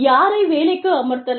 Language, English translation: Tamil, Who can be hired